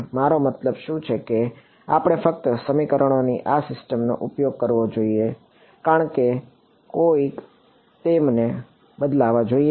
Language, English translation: Gujarati, What are the I mean should we just use these system of equations as a should be change them somehow